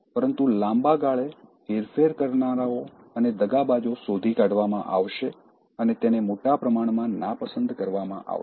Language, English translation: Gujarati, But in the long run, manipulators and cheaters will be found and dislike profusely